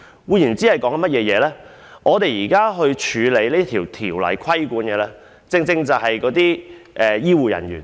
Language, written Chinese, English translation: Cantonese, 換言之，我們現時審議的《條例草案》所規管的正正是醫護人員。, In other words the Bill under examination now exactly regulates health care personnel